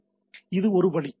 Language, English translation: Tamil, So, that is one way